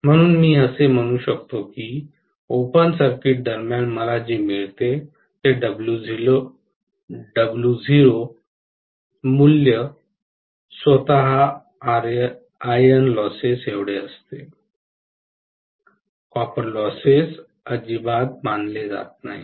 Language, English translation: Marathi, So I can say that basically the W naught value what I get during open circuit is equal to iron losses themselves, copper losses are not considered at all